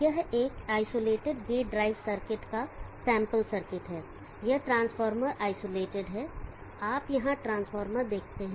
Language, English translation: Hindi, This is a sample circuit of an isolated gate drive circuit, it is transformer isolated you see the transformer here